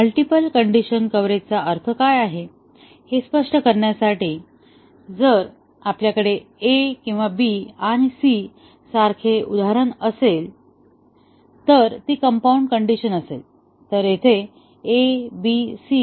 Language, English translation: Marathi, Just to elaborate what we mean by multiple condition coverage, if we have an example such as a or b and c is the compound condition, then there are three atomic conditions here; a, b, c